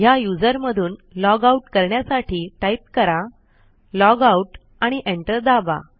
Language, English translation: Marathi, To logout from this user, type logout and hit Enter